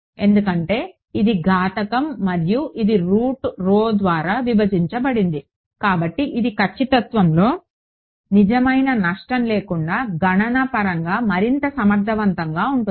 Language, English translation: Telugu, Because, this is an exponential and it is divided by root rho right; so, this is going to be much more computationally efficient without any real loss in accuracy